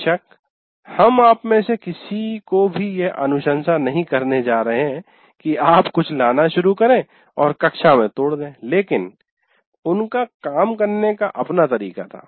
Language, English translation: Hindi, So, of course, you are not, we are not going to recommend to any of you that you should start bringing something and break it in the class, but he had his way of doing things